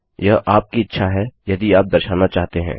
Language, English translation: Hindi, Its your choice whether you want to display